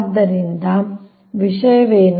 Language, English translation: Kannada, so this is the thing